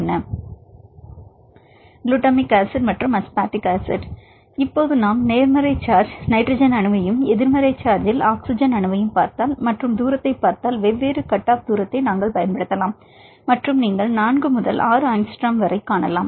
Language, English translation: Tamil, Gulatmic acid and aspartic acid, now if we see the nitrogen atom in the positive charge and the oxygen atom in the negative charge and see the distance; we can use the different distance cut off and you can see up to 4 to 6 angstrom, we can use for the ion pairs